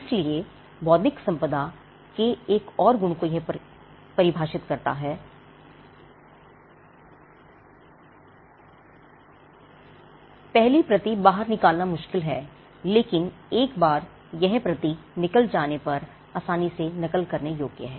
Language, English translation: Hindi, So, this defines yet another trait of intellectual property right it is difficult to get the first copy out, but once the first copy is out it is easily replicable